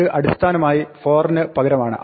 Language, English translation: Malayalam, This is basically replacing the for